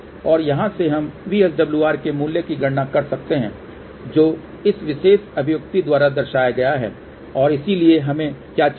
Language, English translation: Hindi, And from here we can calculate the value of VSWR which is given by this particular expression and so, what we need